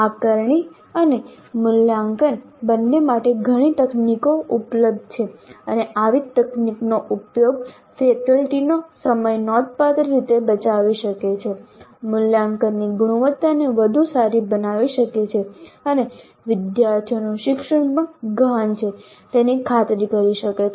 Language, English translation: Gujarati, Now there are several technologies available for both assessment and evaluation and a proper use of such technologies can considerably save the faculty time, make the quality of assessment better and ensure that the learning of the students also is deep